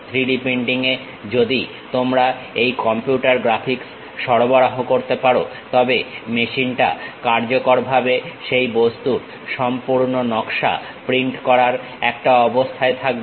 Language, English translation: Bengali, In 3D printing, if you can supply this computer graphics, the complete design of that object; the machine will be in a position to print that object in a very effective way